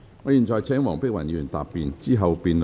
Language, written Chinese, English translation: Cantonese, 我現在請黃碧雲議員答辯。, I now call upon Dr Helena WONG to reply